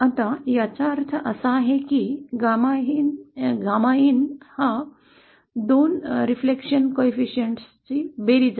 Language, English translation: Marathi, Now what it means is that gamma in is the sum of 2 reflections